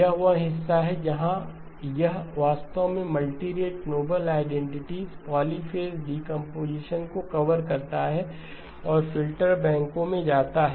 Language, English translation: Hindi, That is the part where it actually covers the multirate, the noble identities, polyphase decomposition and gets into filter banks